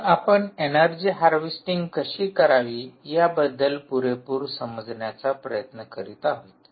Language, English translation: Marathi, so we are just trying to understand whole end to end of how to harvest energy from